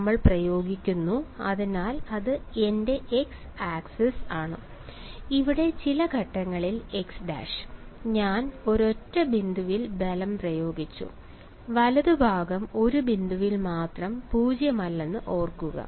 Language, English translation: Malayalam, We are applying, so this is my x axis, at some point x prime over here; I have applied a force is at a single point remember the right hand side is non zero at only one point right